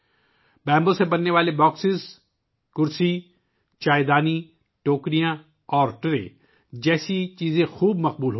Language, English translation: Urdu, Things like boxes, chairs, teapots, baskets, and trays made of bamboo are becoming very popular